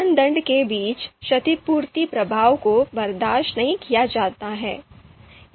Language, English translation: Hindi, The compensation effect between criteria is not to be tolerated